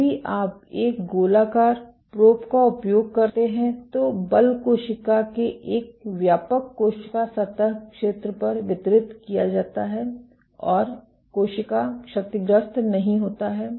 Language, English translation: Hindi, While If you use a spherical probe, the force is distributed over a wider cell surface area of the cell and the cell does not get damaged